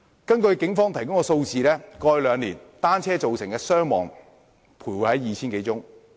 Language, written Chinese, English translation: Cantonese, 根據警方提供的數字，過去兩年，單車造成的傷亡個案徘徊在 2,000 多宗。, According to police statistics in the past two years the number of casualties caused by bicycles stood at some 2 000 cases